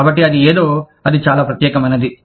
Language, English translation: Telugu, So, that is something, that is very unique